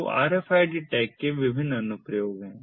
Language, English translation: Hindi, so these are different applications of the rfid tags